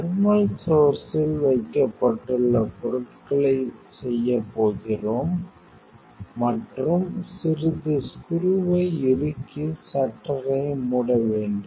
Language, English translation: Tamil, You are going to do material kept in the source thermal source and slightly you have to tighten the screw and close the shutter